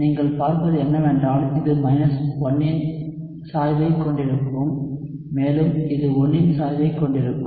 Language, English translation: Tamil, And what you would see is this will have a slope of –1 and this will have a slope of 1 alright